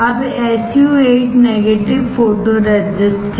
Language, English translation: Hindi, Now SU 8 is negative photoresist